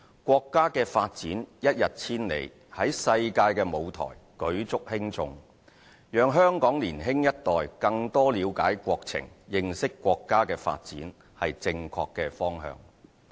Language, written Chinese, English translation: Cantonese, 國家的發展一日千里，在世界的舞台舉足輕重，讓香港年輕一代更多了解國情，認識國家的發展，是正確的方向。, With its rapid development the country is playing a significant role in the world . It is therefore the right direction to let the young generation of Hong Kong know more about the situation and development of the country